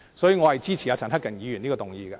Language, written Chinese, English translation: Cantonese, 所以，我支持陳克勤議員的這項議案。, For that reason I support Mr CHAN Hak - kans motion